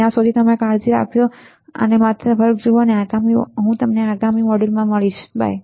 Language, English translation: Gujarati, Till then you take care and just look at the lecture I will see you in the next module bye